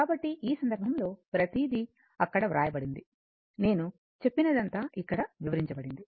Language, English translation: Telugu, So, in this case everything is written there, whatever I said everything is explained here, right